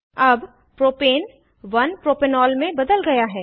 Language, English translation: Hindi, Propane is now converted to 1 Propanol